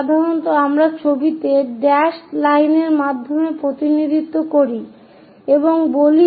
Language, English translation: Bengali, So, usually we represent by dashed line in the picture instead of saying that this is a complete block